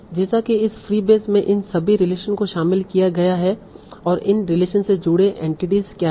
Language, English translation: Hindi, So like that this fee base contains all these relations and what are the entities that are connected by this relation